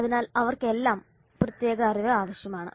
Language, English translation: Malayalam, So all of them require specialized knowledge